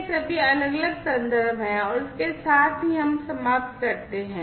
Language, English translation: Hindi, So, these are all these different references and with this we come to an end